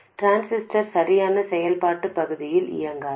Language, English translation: Tamil, The transistor will not be operating in the correct region of operation